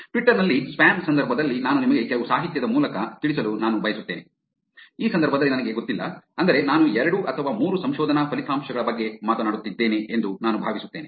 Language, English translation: Kannada, I thought I will walk you through some literature in the context of spam in Twitter, which is in this case I do not know I think I am going to talk about 2 or 3 research results